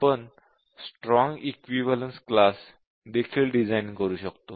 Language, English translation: Marathi, We might also design Strong Equivalence Class Testing